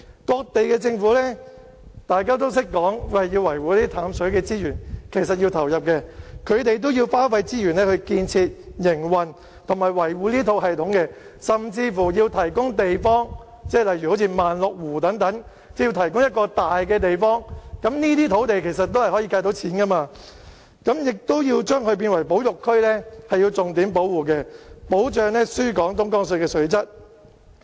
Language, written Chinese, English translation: Cantonese, 各地政府都懂得說要維護淡水資源，其實是要投入的，他們要花費資源來建設、營運和維護這套系統，甚至要提供地方，例如萬綠湖等，要提供一個大的地方，這些土地其實也可以計算價錢的，亦要將之列為保育區，重點保護，以保障輸港東江水的水質。, In fact they have to make investment for this purpose . They have to put in resources for constructing operating and maintaining the system and even provide land resources―a large piece of land―such as Wanlu Lake . These land resources should be included into the calculation of water prices and the sites should also be designated as specially - protected conservation areas in order to safeguard the quality of Dongjiang water supplied to Hong Kong